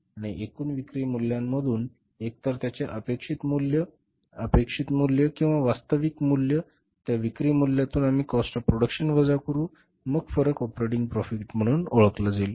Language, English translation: Marathi, And from the total sales value, either it is anticipated value, expected value or actual value, from that sales value, if we subtract the cost of production, then the difference is called as the operating profit, right